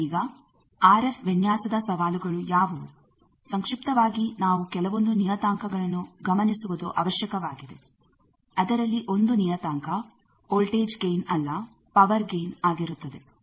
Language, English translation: Kannada, Now, what are the challenges of RF design briefly that we need to consider various parameters you see, one of the parameter is power gain not voltage gain